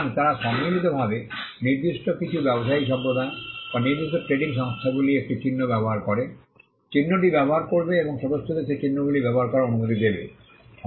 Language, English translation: Bengali, So, they collectively use a mark certain trading communities or certain trading bodies, would use mark and would allow the members to use those marks